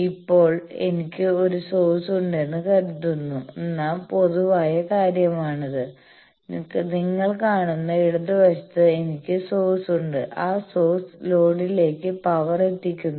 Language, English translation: Malayalam, Now, this is the general thing that supposes I have a source, at the left hand side you are seeing and that source is delivering power to the load